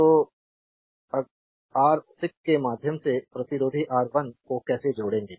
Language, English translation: Hindi, So, how do we will combine resistor R 1 through R 6